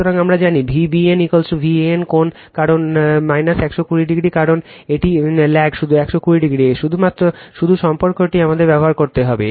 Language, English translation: Bengali, So, we know V BN is equal to V AN angle because angle minus 120 degree because, it lags by 120 degree, just relationship we have to use